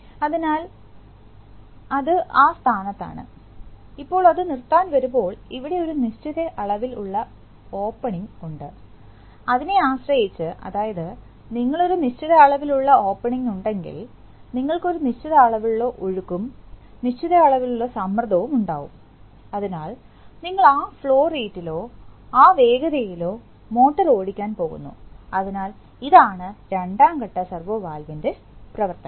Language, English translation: Malayalam, So, it is at that position that, now when it comes to stop then there is a certain amount of opening here and depending on that, the, so when you have a certain amount of opening, you have a certain amount of flow, of certain amount of pressure, or so you are, so you’re going to drive the motor at that flow rate or that speed, so this is the operation of the two stage servo valve